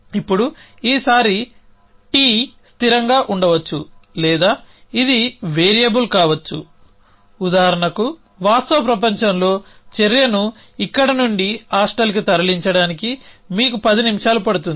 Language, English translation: Telugu, Now, this time t could be constant or it could be a variable for example, move action in the real world go from the here to the hostel it will take you 10 minutes